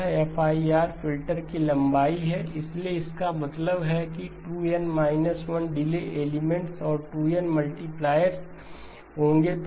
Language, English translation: Hindi, This is the length of the FIR filter, so which means that there will be 2N minus 1 delay elements and 2N multipliers